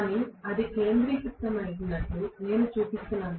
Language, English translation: Telugu, But I am showing it as though it is concentrated